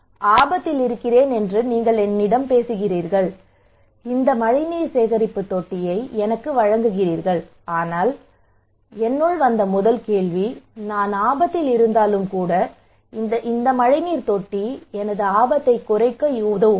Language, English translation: Tamil, You are talking to me that I am at risk and offering me this rainwater harvesting tank, but the first question came to me okay even if I am at risk, will this rainwater tank will help me to reduce my risk